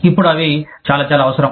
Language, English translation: Telugu, Now, they are very, very, necessary